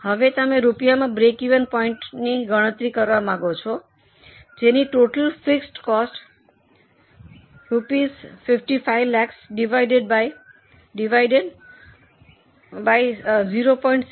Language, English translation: Gujarati, Now, break even point you may want to calculate it in terms of rupees that is total fixed cost which is 55 lakhs divided by 0